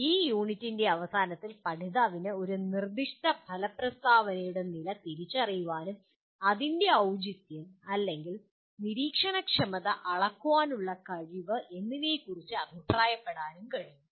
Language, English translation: Malayalam, Then at the end of this unit the learner should be able to identify the level of a given outcome statement and comment on its appropriateness or observability and measurability